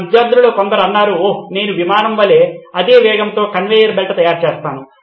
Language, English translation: Telugu, Some of my students think of ideas like oh well I will make a conveyer belt that is at the same speed as the aircraft